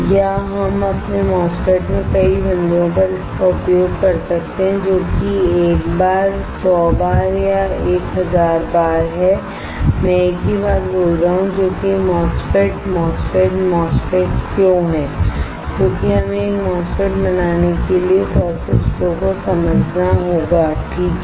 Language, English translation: Hindi, Or we can use it at several points in our MOSFET that is one time a 100 times 1000 times I am speaking same thing which is MOSFET, MOSFET, MOSFET why because we have to understand the process flow for how to fabricate a MOSFET alright